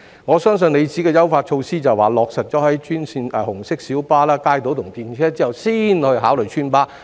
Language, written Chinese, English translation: Cantonese, 我相信局長的意思是，在將優化措施落實於紅色小巴、街渡和電車後才考慮邨巴。, I think what the Secretary means is that residents buses will only be considered upon implementation of the enhancement measure on RMBs kaitos and tramways and I wish my understanding is wrong